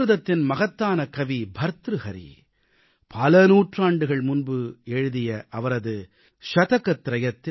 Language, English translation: Tamil, Centuries ago, the great Sanskrit Poet Bhartahari had written in his 'Shataktrayam'